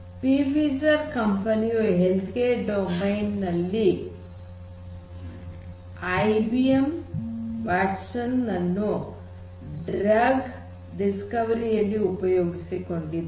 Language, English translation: Kannada, So, the company Pfizer which is in the medical space the healthcare domain they exploit IBM Watson for drug discovery